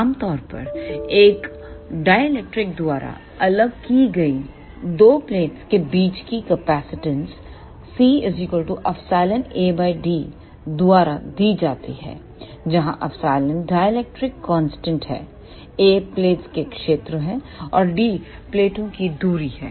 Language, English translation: Hindi, Generally, though capacitance of though two plates separated by a dielectric is given by C is equal to epsilon A by d, where epsilon is the dielectric constant of the material A is the area of the plates, and d is the distance between the plates